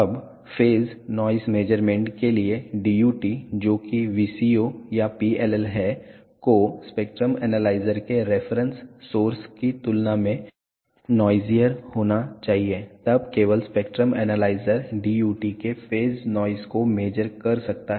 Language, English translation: Hindi, Now, for phase noise measurements the DUT which is the VCO or PLL has to be noisier than the spectrum analyzers reference source then only the spectrum analyzer can measure the phase noise of the DUT